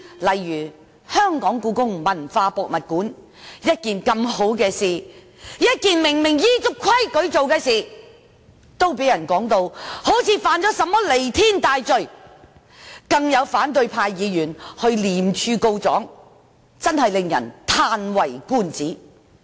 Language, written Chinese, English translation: Cantonese, 例如，設立香港故宮文化博物館本是一件好事，以及顯然依足規矩，但竟然被評為犯了彌天大罪般，更有反對派議員向廉政公署告狀，真的令人嘆為觀止。, For instance the Hong Kong Palace Museum is something desirable originally and the entire procedure is obviously in compliance with the rules yet the project is now faced with harsh criticisms as if the Government has committed a heinous crime . It is even more astonishing that some opposition Members have reported this to the Independent Commission Against Corruption